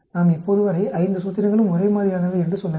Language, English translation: Tamil, We have to, as of now say that all the 5 formulations are the same